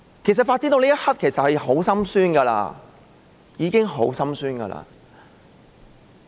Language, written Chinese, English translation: Cantonese, 事情發展到這一刻，其實已經令人很心酸。, It indeed grieves us to see how the incident has developed so far